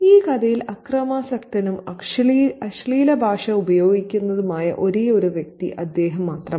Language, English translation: Malayalam, He is the only figure in the story who is violent and who employs obscene language in the story